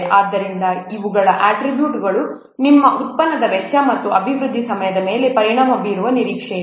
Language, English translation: Kannada, So these attributes are expected to affect the cost and development time of your product